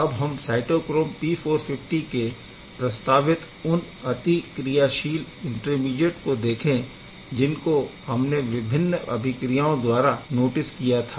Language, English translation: Hindi, Now we are going to see the you know reactive intermediate in case of cytochrome P450 well as you have noticed that we have proposed a number of intermediate